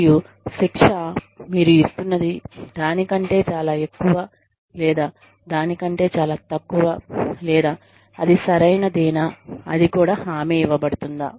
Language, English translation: Telugu, And, is the punishment, you are giving, much more than it should be, or much less than it should be, or is it just right, is it even warranted